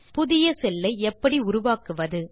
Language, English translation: Tamil, So how do we create a new cell